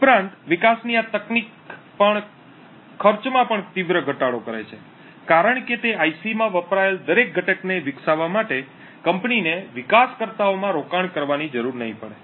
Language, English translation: Gujarati, Also, this technique of development also reduces the cost drastically because the company would not need to invest in developers to develop each and every component that is used in that IC